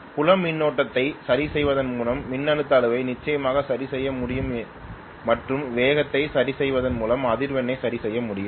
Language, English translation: Tamil, The voltage magnitude definitely can be adjusted by adjusting the field current and frequency can be adjusted by adjusting the speed